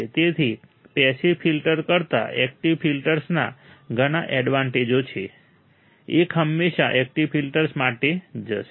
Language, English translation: Gujarati, So, there are many advantages of active filters over passive filters, one will always go for the active filter